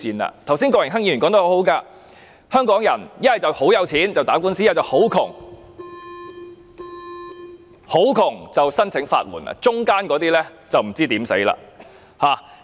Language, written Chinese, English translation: Cantonese, 郭榮鏗議員剛才說得很好，香港人如果很有錢，便可以打官司，如果很貧窮，便可申請法援，而中產的便不知如何是好。, He said if the people of Hong Kong were rich they might take the case to court . And if they were poor they could apply for legal aid . Yet for the middle class they do not know what they can do